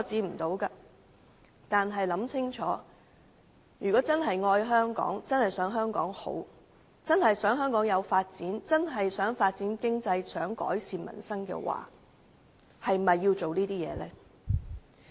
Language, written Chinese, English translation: Cantonese, 不過，請大家想清楚，如果是真正愛香港，希望香港好，希望香港發展經濟和改善民生，應否再做這些事情？, However I hope that Members can think carefully . If they really love Hong Kong and hope that Hong Kong will get better by developing its economy and improving peoples livelihood they should not do something like that again should they?